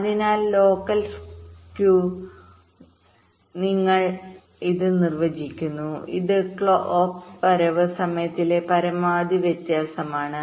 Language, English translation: Malayalam, so local skew we define like this: this is the maximum difference in the clock, clock arrival time